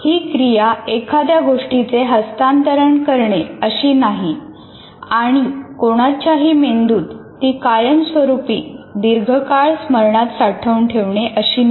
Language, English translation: Marathi, It is not as if something can be transferred and permanently stored in the long term memory of anybody's brain